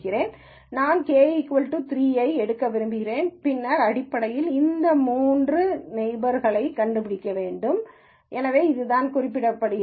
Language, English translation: Tamil, Say if I want to take k equal to 3, then basically I have to find three nearest points which are these three, so this is what is represented